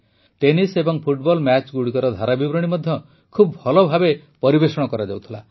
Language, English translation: Odia, The commentary for tennis and football matches is also very well presented